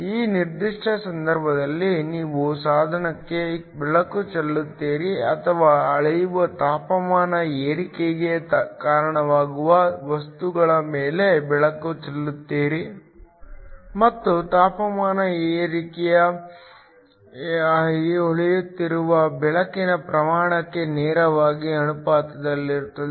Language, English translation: Kannada, In this particular case, you shine light on to the device or you shine light on to the material which leads to a temperature raise which is measured and the temperature raise is directly proportional to the amount of light that is shining in